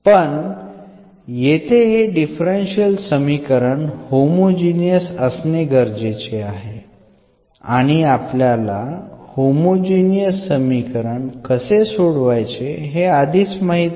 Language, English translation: Marathi, But, here the condition is this should be homogeneous differential equation and we already know how to solve the homogeneous differential equation